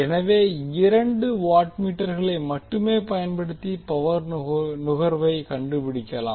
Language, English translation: Tamil, We can use only 2 watt meter for getting the power consumption details